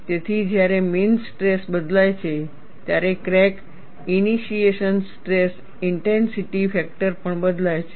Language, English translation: Gujarati, So, when the mean stress is changed, the crack initiation stress intensity factor also changes